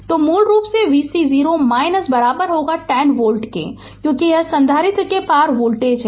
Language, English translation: Hindi, So, basically your v c 0 minus will be is equal to 10 volt, because, this is the voltage across the capacitor